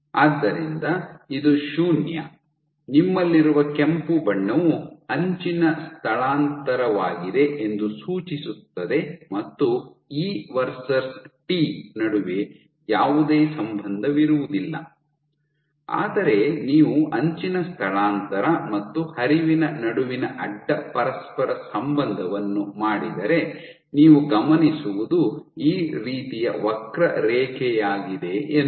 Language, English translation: Kannada, So, what you have your red is the edge displacement there is no correlation between E versus T, but if you do the correlation between edge displacement versus flow what you will observe is a curve which is like this